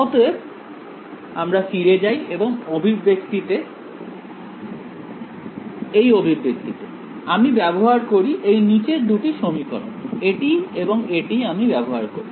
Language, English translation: Bengali, So, let us go back to the expression over here, I use the bottom 2 equations I use this and this